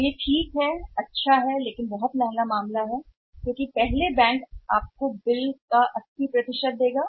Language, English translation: Hindi, So, that is good fine but there is a very expensive transaction because first bank will give you 80 % of the bills